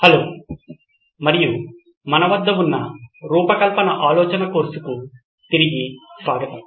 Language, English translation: Telugu, Hello and welcome back to the design thinking course that we have